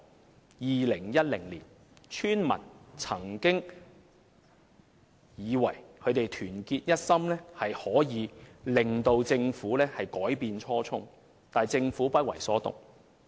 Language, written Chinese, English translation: Cantonese, 在2010年，村民曾以為只要他們團結一心，便可令政府改變初衷，但政府卻不為所動。, At one time in 2010 villagers thought that their solidarity would make the Government change its mind . But the Government simply refused to be swayed